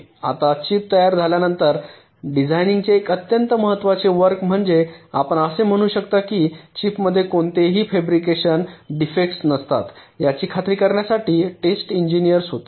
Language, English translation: Marathi, one very important task of the designers, or you can say the text engineers, was to ensure that the chip does not contain any apparent fabrication defects